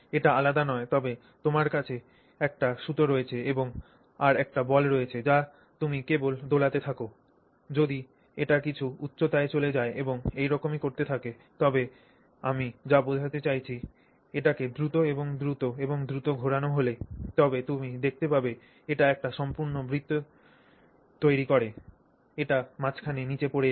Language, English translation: Bengali, So it's no different than you know you have a string and you have a ball, you just swing it along if it will go to some height and keep falling but if you, I mean, rotate it faster and faster and faster you will find that it makes the complete circle